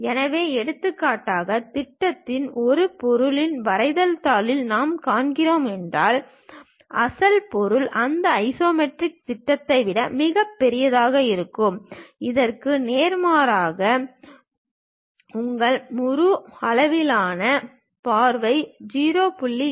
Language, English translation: Tamil, So, for example, on the projection if I am seeing on the drawing sheet of this object; the original object will be much bigger than that isometric projection, vice versa your full scale view will be reduced to 0